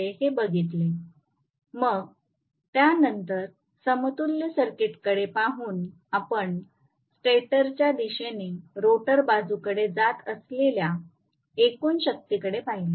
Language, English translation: Marathi, Then after that we actually looked at the equivalent circuit by looking at the total power that is being passed on from the stator side to the rotor side right